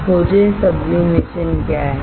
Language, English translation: Hindi, Find what is sublimation